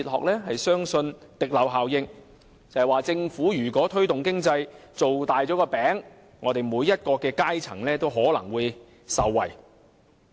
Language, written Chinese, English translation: Cantonese, 就是說，如果政府推動經濟，把"餅"造大了，每個階層也可能會受惠。, That is to say if the Government promoted economic development each sector of the community might be benefited when the pie had been made bigger